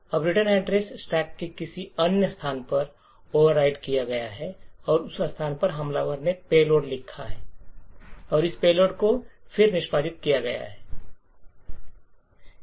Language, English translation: Hindi, Now the return address is overwritten with another location on the stack and in that location the attacker has written a payload and this payload would then execute